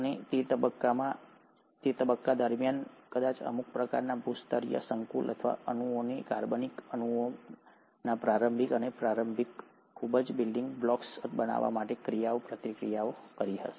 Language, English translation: Gujarati, And, it is during this phase that probably some sort of geological complexes or molecules would have interacted to form the initial and the early very building blocks of organic molecules